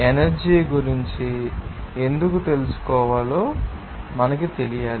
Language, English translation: Telugu, You have to know that why we should know that about energy